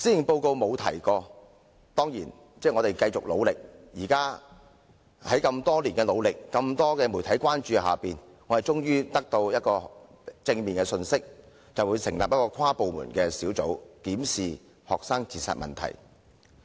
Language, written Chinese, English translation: Cantonese, 我們當然會繼續努力，而經過多年的努力及在眾多媒體的關注下，我們終於獲得正面的回應，就是政府將會成立一個跨部門小組，檢視學生自殺問題。, Of course we will continue to work hard and after years of efforts and having drawn the medias attention we have finally received positive response from the Government and that is a cross - bureaudepartment task force will be set up to look into the problem of student suicide